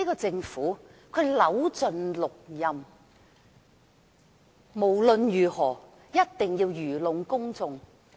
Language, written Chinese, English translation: Cantonese, 政府扭盡六壬，無論如何一定要愚弄公眾。, The Government has been racking its brain to fool the public by all means